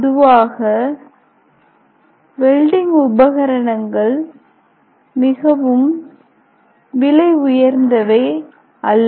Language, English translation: Tamil, General welding equipment is not very costly